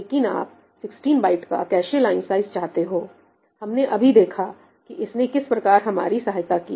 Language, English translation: Hindi, But you want a cache line size of 16 bytes, right we just saw how it helped us